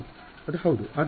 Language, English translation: Kannada, Yeah that is yeah